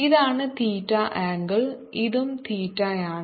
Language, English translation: Malayalam, if this is theta, this is also theta